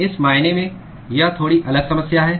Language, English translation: Hindi, So, in this sense, it is a slightly a different problem